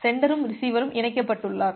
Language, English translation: Tamil, The sender and receiver is connected